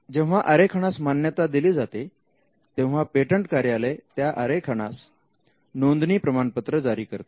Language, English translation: Marathi, When a design is granted, the patent office issues a certificate of registration of design